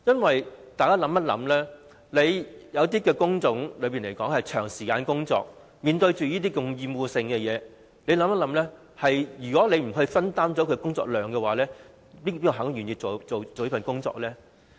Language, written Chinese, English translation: Cantonese, 大家想一想，有一些工種需要員工長時間工作，而且處理厭惡性的工作，如果不分擔工作量，試問誰會願意做這份工作呢？, Let us imagine that some job types require workers to work long hours and undertake obnoxious tasks . If the workload is not shared who is willing to take up such a job?